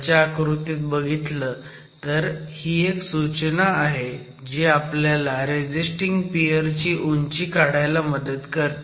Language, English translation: Marathi, So if you look at the sketch below, this is a sort of a guideline that helps us establish what is the height of the resisting peer